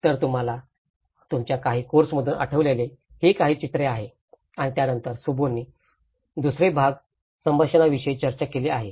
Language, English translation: Marathi, So that is what some of the pictures which you can remember from your course and then the second part which Shubho have discussed is about the communications